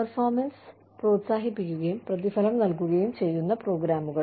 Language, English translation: Malayalam, Programs, that encourage, and reward performance